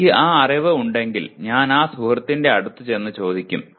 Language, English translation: Malayalam, If I have that knowledge I will go to that friend and ask